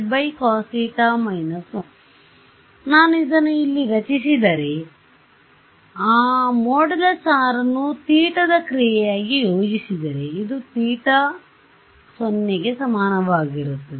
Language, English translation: Kannada, So, if I plot this over here, if I plot mod R over here as a function of theta ok, this is theta is equal to 0